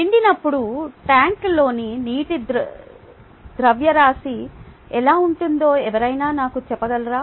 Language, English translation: Telugu, can somebody tell me what the mass of water in the tank would be when it is full